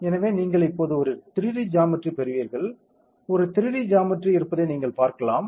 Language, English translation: Tamil, So, you will get a 3D geometry now, you can see right there is a 3D geometry